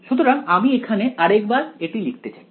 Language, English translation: Bengali, So, let us just re write our equation over here